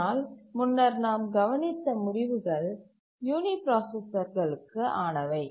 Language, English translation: Tamil, But the results that we have so far seen are for uniprocessor